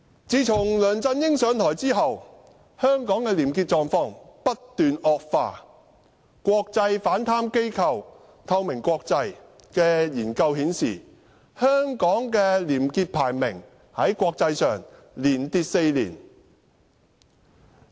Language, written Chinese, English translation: Cantonese, 自從梁振英上台後，香港的廉潔狀況不斷惡化，國際反貪機構"透明國際"的研究顯示，香港的國際廉潔排名連跌4年。, The honesty level of Hong Kong has been dropping ever since LEUNG Chun - ying took office . According to a research done by an international anti - corruption organization Transparency International the ranking of Hong Kong on its Corruption Perceptions Index have been dropping for four consecutive years